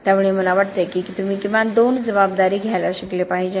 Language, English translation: Marathi, So I think you have to learn to wear two hats at least